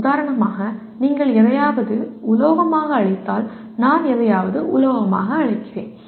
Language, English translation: Tamil, For example if you call something as a metal, I call something as a metal